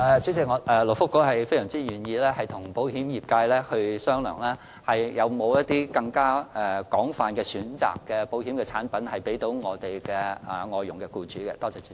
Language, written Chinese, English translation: Cantonese, 主席，勞工及福利局非常願意與保險業界商量，能否推出一些有更廣泛選擇的保險產品供外傭的僱主選購。, President the Labour and Welfare Bureau is very willing to discuss with the insurance sector to find out whether it will introduce a wider range of insurance products for FDH employers to choose from